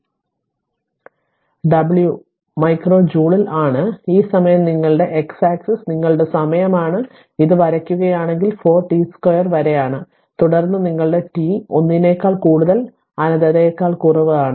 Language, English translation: Malayalam, So, this side is W in terms of micro joule and this time you are this time is your x axis is your time second, if you plot it is 4 t square up to this and then that your what you call that your other part in between t greater than 1 less than infinity